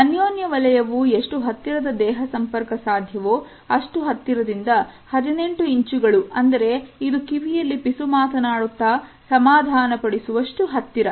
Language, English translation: Kannada, The intimate zone is from the closest possible body contact to 18 inches, which is a distance for comforting for whispering